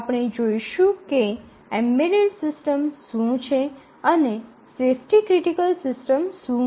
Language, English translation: Gujarati, So, we will see what is an embedded system and what is a safety critical system